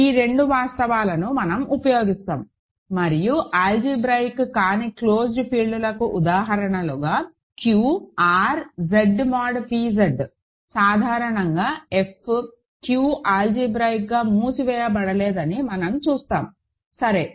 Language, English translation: Telugu, These two facts we will use and as examples of non algebraically close fields, we immediately see that Q, R, Z mod p Z more generally F Q are not algebraically closed, ok